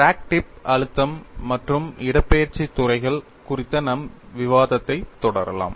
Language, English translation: Tamil, Let us continue our discussion on crack tip stress and displacement fields